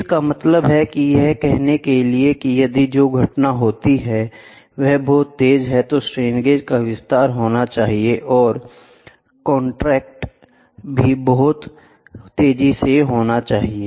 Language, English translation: Hindi, So, that means, to say if the event which is happen is very fast, then the strain gauge must expand and contract also very fast